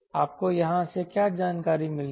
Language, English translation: Hindi, what other information we get